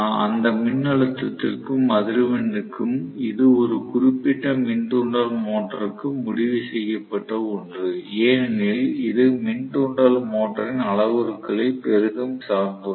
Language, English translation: Tamil, So, for that voltage and for the frequency it is kind of set and stone, for a given induction motor because it depends heavily up on the parameters of the induction motor